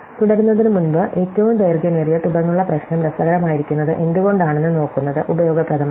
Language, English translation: Malayalam, So, before we proceed it useful to look at why the longest common subsequence problem is interesting